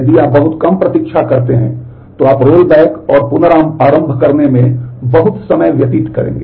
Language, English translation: Hindi, If you wait too short, then you will spend a lot of time in the in the rollback and restart